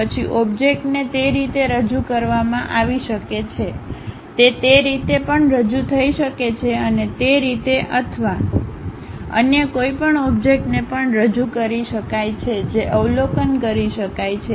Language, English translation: Gujarati, Then the object may be represented in that way, it might be represented even in that way and it can be represented in that way also or any other object which might be observed